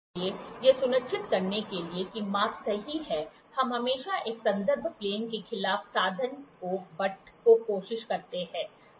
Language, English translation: Hindi, So, in order to make sure the measurement is correct, we always try to butt the instrument as against a reference plane